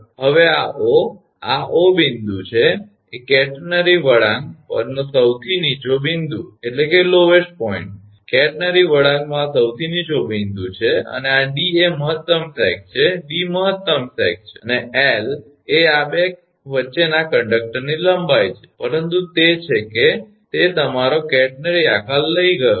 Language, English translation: Gujarati, Now, this O this is the O is the point is the lowest point on the catenary curve right, this is the lowest point at the catenary curve and this d is the maximum sag d is the maximum sag right, and l is be the length of the conductor between these 2, but it is it has taken a your catenary shape